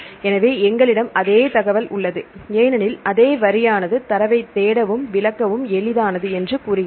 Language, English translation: Tamil, So, we have the same information because same line say easy to search and interpret a data